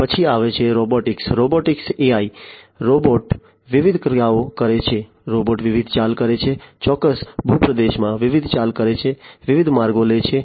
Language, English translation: Gujarati, Then comes robotics AI in robotics, you know, robot performing different actions, you know robot making different moves, in a particular terrain, performing different moves, taking different trajectories, etcetera